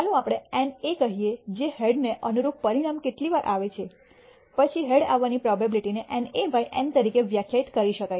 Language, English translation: Gujarati, Let us say NA is the number of times that the outcome corresponding to the head occurs, then the probability of head occurring can be defined as NA by N